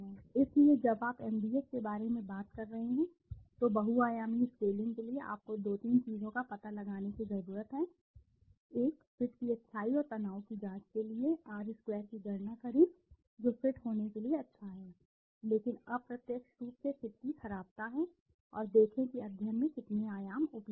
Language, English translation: Hindi, So when you are talking about MDS, multidimensional scaling you need to find out 2, 3 things, one, calculate R square to check the goodness of fit and the stress which is also goodness of fit, but indirectly is the badness of fit, and see how many dimensions are available in the study